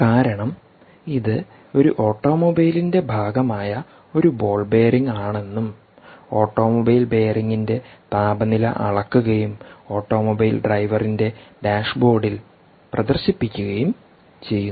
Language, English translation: Malayalam, ok, because let us resume that this is a ball bearing that is part of an automobile and the automobile bearing temperature is being measured and being displayed on the dashboard of the automobile driver